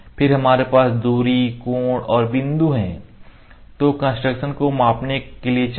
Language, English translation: Hindi, Then we have distance angle point these are the construction measures, ok